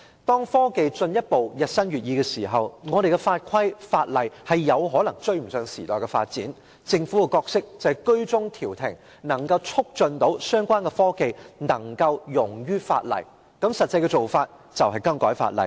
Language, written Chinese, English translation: Cantonese, 當科技日新月異，而我們的法規、法例卻有可能追不上時代的發展時，政府應擔當居中調停的角色，促使相關科技能夠容於法例之下，而實際的做法就是修改法例。, When technologies are constantly changing but our rules regulations and laws may not catch up with the development of the times the Government should play the role of a mediator facilitating accommodation of the relevant technologies in our laws . A practical approach is to make legislative amendments